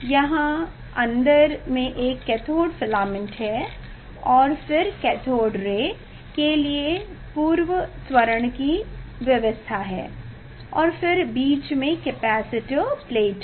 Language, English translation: Hindi, here insight there is a cathode filament cathode and then there is a pre acceleration for the cathode ray and then in between there are capacitor plate